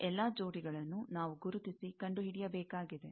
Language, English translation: Kannada, All these pairs, we will have to identify and find